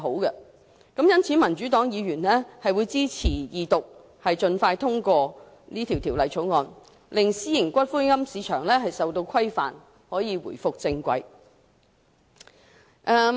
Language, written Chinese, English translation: Cantonese, 因此，民主黨議員支持二讀，盡快通過《條例草案》，令私營龕場市場受到規管及重回正軌。, Hence Members from the Democratic Party support the Second Reading and the expeditious passage of the Bill in order to regulate the private columbaria market and put it back on the right track